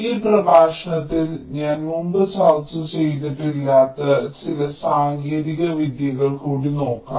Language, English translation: Malayalam, so in this lecture we shall be looking at a few more techniques which also can be used which i have not discussed earlier